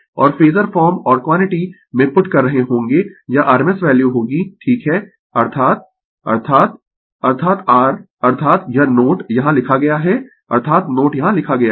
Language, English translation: Hindi, And will be putting in the phasor form or quantity this will be rms value right, that is that is that is your that is this note written here that is the note is written here